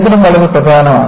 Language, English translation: Malayalam, See, history is very important